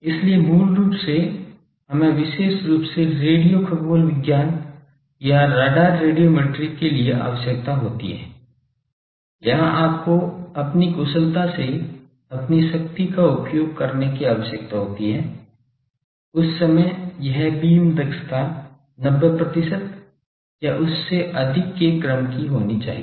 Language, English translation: Hindi, So, basically we require in particularly when for radio astronomy or RADAR radiometry where you have you need to very efficiently use your power that time this beam efficiency should be of the order of 90 percent or more